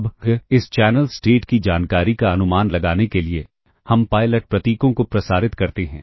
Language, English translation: Hindi, Now, for the [vocalized noise] to estimate the channel state information we transmit pilot symbols, alright